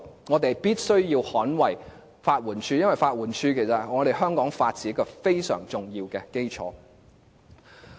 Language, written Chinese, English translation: Cantonese, 我們必須捍衞法援署，因為法援署是香港法治一個非常重要的基礎。, We must defend the LAD because it is a very important foundation for the rule of law in Hong Kong